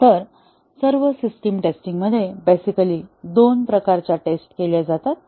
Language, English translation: Marathi, So, in all the system testing there are basically two types of tests that are carried out